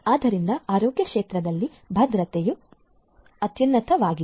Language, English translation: Kannada, So, security is paramount in the healthcare sector